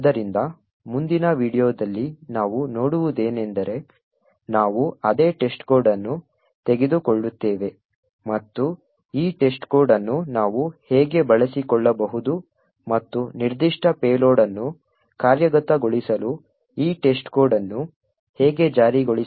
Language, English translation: Kannada, So, in the next video what we will see is that we will take the same test code and will see how we could exploit this test code and enforce this test code to execute a particular payload